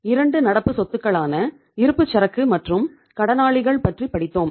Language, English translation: Tamil, So were talking about the 2 assets current assets like inventories and debtors